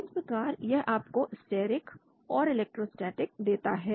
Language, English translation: Hindi, So this gives you steric and electrostatic